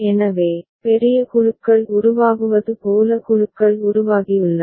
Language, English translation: Tamil, So, groups have formed like larger groups are formed